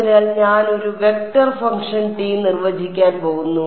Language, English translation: Malayalam, So, I am going to define a vector function T